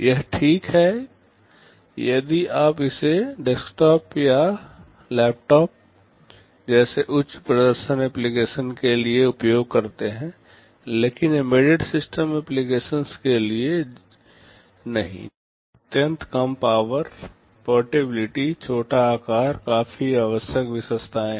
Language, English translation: Hindi, It is fine if you use it for a high performance application like a desktop or a laptop, but not for embedded system applications were ultra low power, portability, small size these features are quite essential